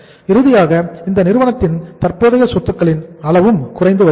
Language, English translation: Tamil, It means finally in this firm also the level of current assets is coming down